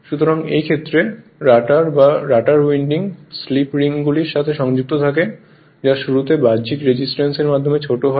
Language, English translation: Bengali, So, in this case the rotor or rotor winding is connected to slip rings which are shorted through your external resistance at the time of starting